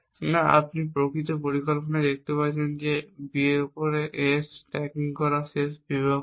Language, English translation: Bengali, No as you can see in the actual plan this will be the last section stacking A on B that will necessarily with a last section